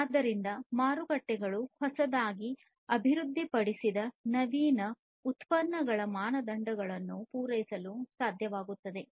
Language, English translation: Kannada, So, markets are able to meet the standards of newly developed innovative products